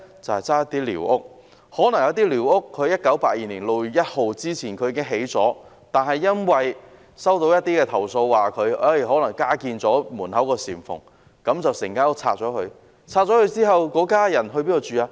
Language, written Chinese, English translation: Cantonese, 有些寮屋可能在1982年6月1日前已搭建，但因為收到一些投訴，例如指門口加建了簷蓬，因此要將整間屋拆卸。, Some squatter huts were erected probably before 1 June 1982 but given complaints about say the erection of a canopy at the doorway the entire squatter hut had to be pulled down